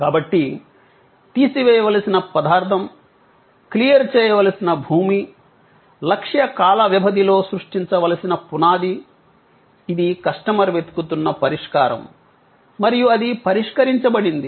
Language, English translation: Telugu, So, material to be removed, ground to be cleared, foundation to be created over a targeted time span; that was the solution the customer was looking for and that was the solution that was offered